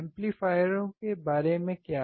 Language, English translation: Hindi, What about amplifier